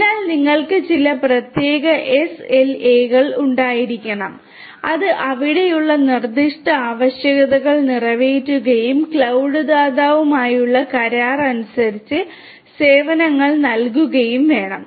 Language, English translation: Malayalam, So, you need to have some kind of SLAs which will catering to the specific requirements that are there and the services should be offered as per the agreement with the cloud provider right